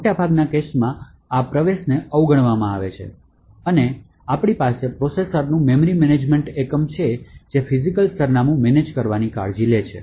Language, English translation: Gujarati, In most of the cases, this particular entry is ignored and we have the memory management unit of the processor which takes care of managing the physical address